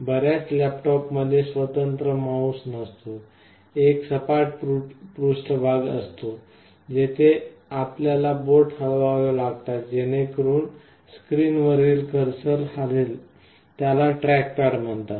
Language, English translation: Marathi, Many of the laptops have no separate mouse; there is a flat surface, where you have to move your finger to move the cursor on the screen; that is called a trackpad